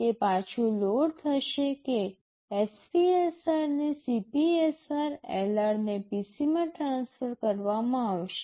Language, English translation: Gujarati, It will be loading back that SPSR into CPSR, LR will be transferred to PC